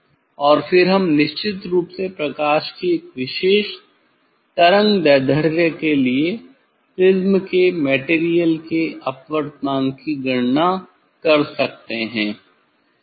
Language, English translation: Hindi, And then we can calculate the refractive index of the material of the prism for a particular wavelength of light of course